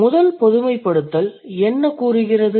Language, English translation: Tamil, So, what is the first generalization